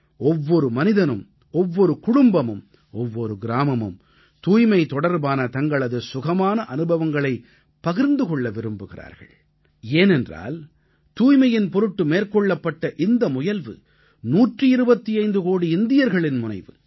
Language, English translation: Tamil, Every person, every family, every village wants to narrate their pleasant experiences in relation to the cleanliness mission, because behind this effort of cleanliness is the effort of 125 crore Indians